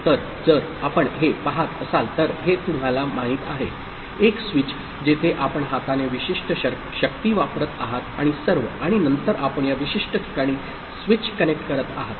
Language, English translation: Marathi, So, if you look at this you know, a switch where you are applying a specific force by hand and all, and then you are connecting the switch to this particular place